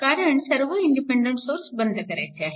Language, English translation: Marathi, Because, all independent sources must be turned off